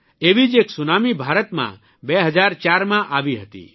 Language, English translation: Gujarati, A similar tsunami had hit India in 2004